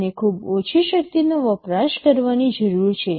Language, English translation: Gujarati, They need to consume very low power